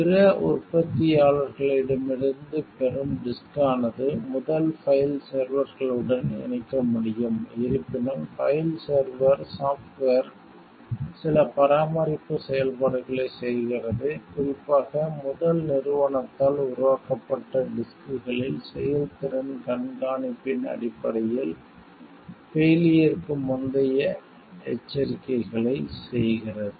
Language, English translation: Tamil, Disk from other manufacturers can connect to first file servers; however, the file server software performs certain maintenance functions, notably pre failure warnings based on performance monitoring only on disks made by first company